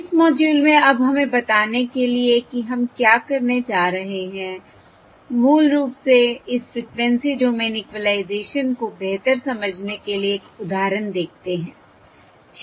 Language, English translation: Hindi, let us now in this module, what we are going to do is basically let us look at an example to understand this Frequency Domain Equalisation better